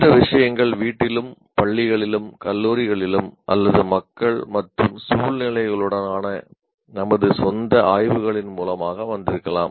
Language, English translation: Tamil, Now these things might have come through our training at home or in the schools or colleges or by our own explorations with people or with circumstances